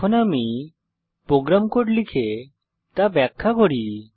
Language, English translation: Bengali, Let me type and explain the program code